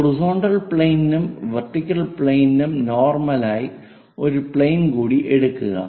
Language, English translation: Malayalam, Take one more plane which is normal to both horizontal plane and also vertical plane